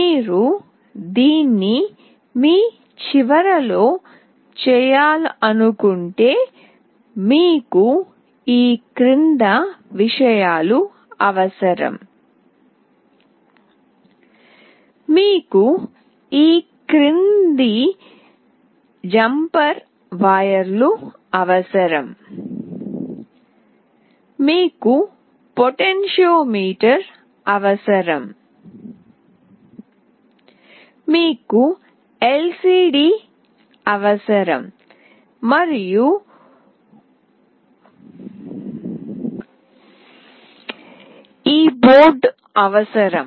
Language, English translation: Telugu, If you want to make this at your end you require the following things; you require the following jumper wires, you require potentiometer, you require LCD and of course this board